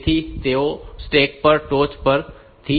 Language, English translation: Gujarati, So, they are from the top of the step